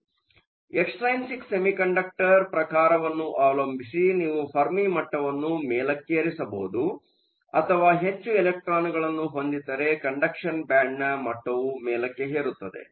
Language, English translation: Kannada, So, depending upon the type of extrinsic semiconductor you have, you can either have the Fermi level shift up, if we have more electrons which shift up towards the conduction band; if you have more holes, it shifts below towards a valence band